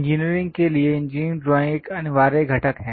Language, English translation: Hindi, Engineering drawing is essential component for engineers